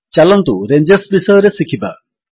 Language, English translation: Odia, Lets learn about Ranges